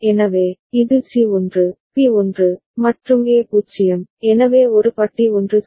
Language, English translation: Tamil, So, this is the case C is 1, B is 1, and A is 0, so A bar is 1 ok